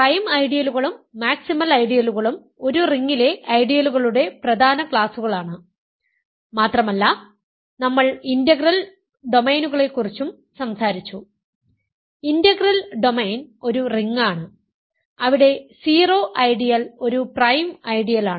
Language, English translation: Malayalam, Prime ideals and maximal ideals are important classes of ideals in a ring and we also talked about integral domains; integral domain is a ring where the zero ideal is a prime ideal